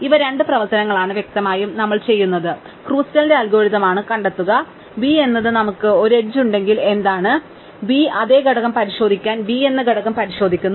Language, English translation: Malayalam, And these are the two operation; obviously, that we do is Kruskal's algorithms, find v is what we if have an edge u, v to check if they are the same component we find the component of u write the component of v if they are the same